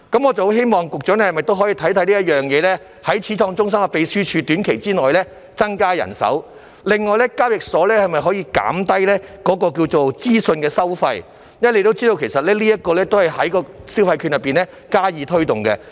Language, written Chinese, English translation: Cantonese, 我希望局長可否審視這件事，在短期內增加始創中心秘書處的人手，另外交易時可否減低資訊收費，因為，大家也知道，其實這也是藉着消費券計劃加以推動的。, I hope the Secretary can look into this matter and increase the manpower of the Secretariat in Pioneer Centre in the near future . Moreover is it possible to reduce the information fees charged at transactions? . Because as we all know it is something to be promoted through the Scheme